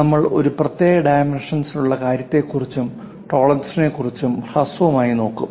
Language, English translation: Malayalam, In today's class we will briefly look at special dimensioning thing and also tolerances